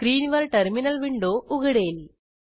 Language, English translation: Marathi, A terminal window appears on your screen